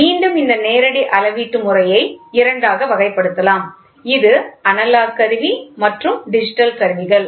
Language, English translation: Tamil, So, this direct can be classified into two which is analog instrument and this is digital instruments